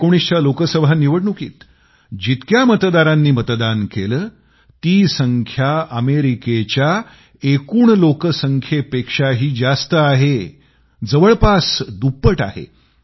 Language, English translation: Marathi, The number of people who voted in the 2019 Lok Sabha Election is more than the entire population of America, close to double the figure